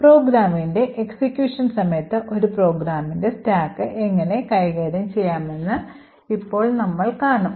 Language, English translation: Malayalam, So now we will see how the stack of a program is managed during the execution of the program